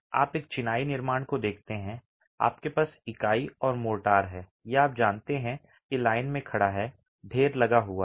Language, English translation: Hindi, You look at a masonry construction, you have the unit and the motor, these are lined up, stacked up